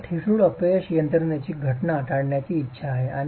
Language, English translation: Marathi, We want to avoid the occurrence of brittle failure mechanisms